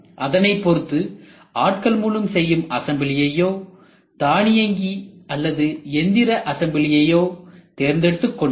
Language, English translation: Tamil, And then start choosing for automatic assembly or manual assembly or robotic assembly